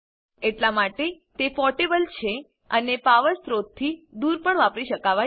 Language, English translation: Gujarati, Hence, it is portable and can be used away from a power source